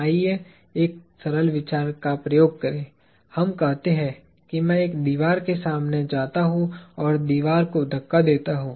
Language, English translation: Hindi, Let us do a simple thought experiment; let us say I go up against a wall and push the wall